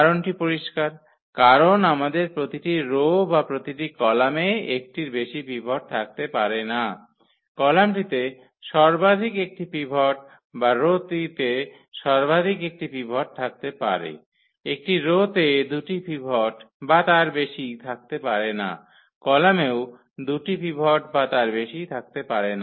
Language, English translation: Bengali, The reason is clear because our each row or each column cannot have more than one pivot, the column can have at most one pivot or the row also it can have at most one pivot, one row cannot have a two pivots or more, column cannot have a two pivots or more